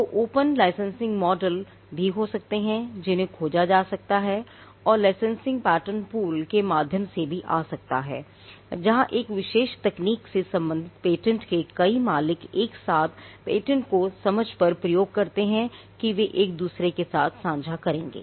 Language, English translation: Hindi, So, there could also be open licensing models which can be explored and licensing can also come by way of pattern pools where multiple owners of patents pertaining to a particular technology pull the pattern together on an understanding that they will cross license it to each other